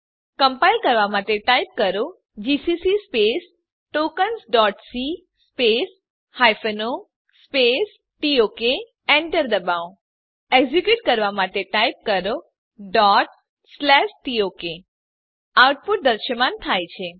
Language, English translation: Gujarati, To compile ,Type gcc space tokens dot c space hyphen o tok press Enter To execute type./tok The output is displayed